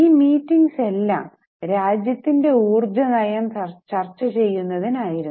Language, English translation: Malayalam, And the meetings were mainly for discussion on energy policy